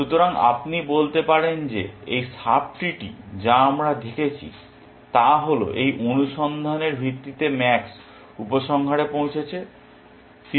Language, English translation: Bengali, So, you can say that, this sub tree that we are seeing is what max has concluded at the result of this search